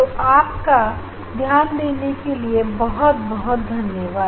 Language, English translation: Hindi, So, thank you for your attention